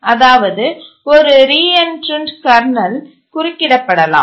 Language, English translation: Tamil, That is a reentrant kernel can be interrupted